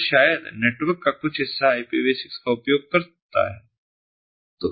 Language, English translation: Hindi, so maybe some part of the network uses ipv six